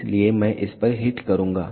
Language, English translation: Hindi, So, I will hit on this